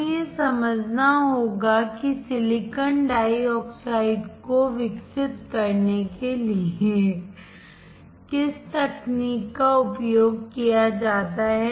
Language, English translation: Hindi, We have to understand what is the technique used to grow silicon dioxide